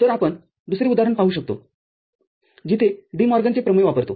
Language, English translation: Marathi, So, another example we can see where we use the DeMorgan’s theorem